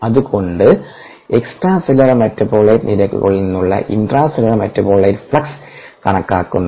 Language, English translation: Malayalam, so, estimation of intracellular metabolite flux from extracellular metabolite rates